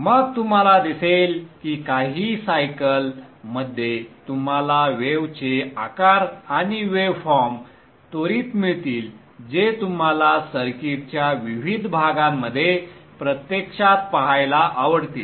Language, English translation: Marathi, Then you will see that in just a few cycles you will quickly get the wave shapes and waveforms that you actually would like to see at various parts of the circuit